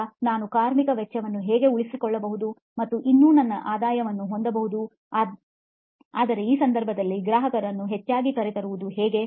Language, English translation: Kannada, Now how might we retain this labour cost and yet have my high revenue, yet bring the customer more often in this case